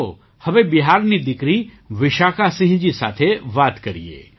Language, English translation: Gujarati, Come, let's now speak to daughter from Bihar,Vishakha Singh ji